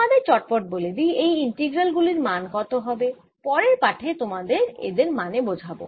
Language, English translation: Bengali, let me quickly tell you what these integrals will be and i'll explain them in the next lecture